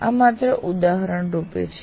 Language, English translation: Gujarati, This is only an indicative one